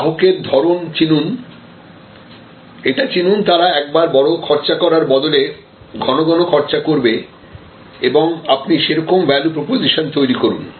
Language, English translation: Bengali, Recognize the nature of your customer, recognize that they are frequency spenders rather than one time large spender and accordingly create your value proposition